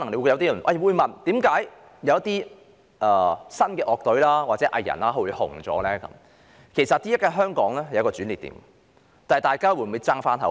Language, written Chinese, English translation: Cantonese, 有些人可能會對一些新晉樂隊和藝人走紅感到不明所以，但現時的香港正處於一個轉捩點，看看大家會否爭一口氣。, Some people may find it inconceivable that some new bands and artists have recently shot to fame but Hong Kong is currently at a turning point and it remains to be seen if Hong Kong people can strive to bring honour to ourselves